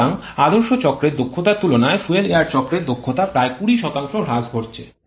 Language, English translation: Bengali, So, there is about 20% reduction in the fuel air efficiency compared to the ideal cycle efficiency